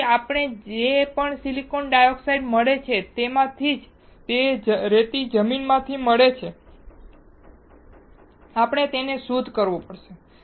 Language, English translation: Gujarati, So, from whatever silicon dioxide we get, that is sand we get from the land, we have to purify it